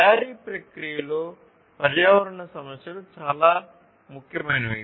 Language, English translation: Telugu, So, environmental issues are very important in the manufacturing process